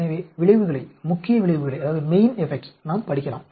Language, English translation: Tamil, So, we can study the effects, main effects